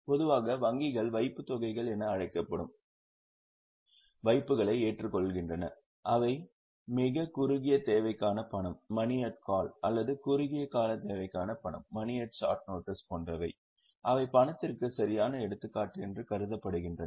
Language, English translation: Tamil, Normally banks accept deposits which are called as deposits which are for extremely short period like money at call or money at short notice they are considered as correct example of cash equivalent